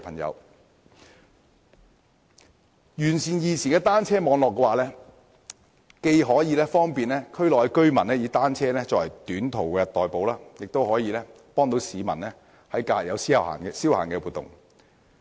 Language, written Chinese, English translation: Cantonese, 如能完善現時的單車網絡，既可方便區內居民以單車作短途代步之用，亦可供市民於假日作消閒活動。, Perfecting the existing cycle track networks will make it convenient for local residents to commute by bicycles for short journeys and enable members of the public to cycle for leisure on holidays